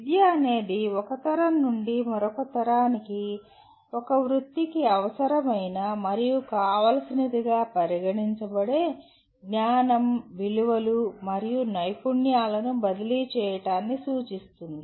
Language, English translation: Telugu, Wherein in education really refers to transfer of accumulated knowledge, values and skills considered necessary and desirable for a profession from one generation to another